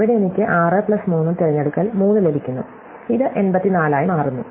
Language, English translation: Malayalam, So, there I get 6 plus 3 choose 3 and this turns out to be 84